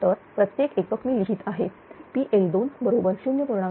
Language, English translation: Marathi, So, in per unit I am writing P L 2 is equal to 0